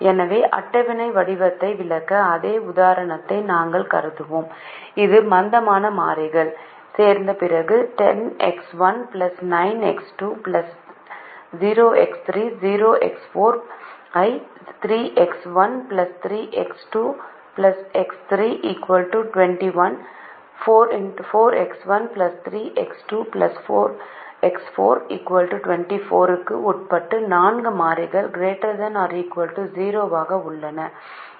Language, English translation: Tamil, so to explain the tabular form, we consider the same example which, after the addition of the slack variables, is to maximize: ten x one plus nine x two plus zero x three, zero x four, subject to three x one plus three x two plus x three equals twenty one